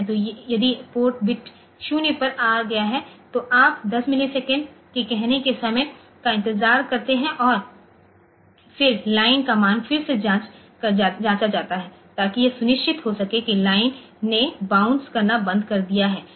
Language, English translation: Hindi, So, when if the port bit has come to 0 so, you wait for a time of say 10 millisecond and then the value of the line is checked again to make sure that the line has stopped bouncing